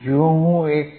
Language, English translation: Gujarati, If I go to 1